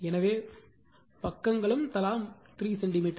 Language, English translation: Tamil, So, your right sides are 3 centimeter each